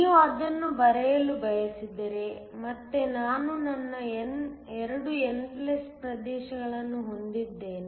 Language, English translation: Kannada, If you were to draw that, again I have my 2 n+ regions